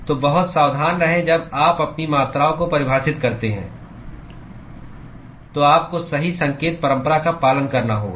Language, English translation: Hindi, So be very careful when you define your quantities, you have to follow the correct sign convention